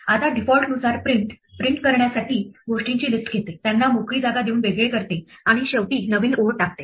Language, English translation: Marathi, Now by default print takes a list of things to print, separates them by spaces and puts a new line at the end